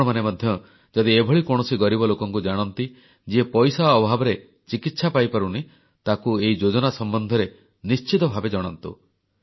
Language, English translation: Odia, If you know a poor person who is unable to procure treatment due to lack of money, do inform him about this scheme